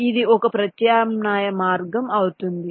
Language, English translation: Telugu, so let say, this can be one alternate route